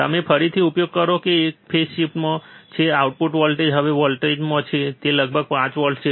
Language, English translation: Gujarati, You use again there is a phase shift the output voltage now is from one volts, it is about 5 volts